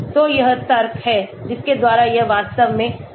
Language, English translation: Hindi, so this is the logic by which it goes actually